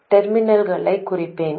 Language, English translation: Tamil, I will mark the terminals